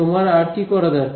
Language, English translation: Bengali, What else do you need to do